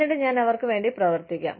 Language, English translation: Malayalam, And then, I can work towards them